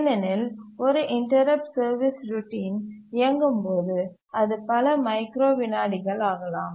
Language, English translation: Tamil, Because when a interrupt service routine is running, it may take several microseconds